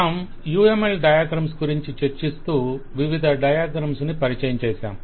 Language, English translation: Telugu, We have been discussing about UML diagrams, introducing variety of diagrams